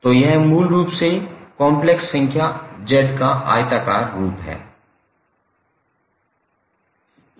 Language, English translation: Hindi, So, this is basically the rectangular form of the complex number z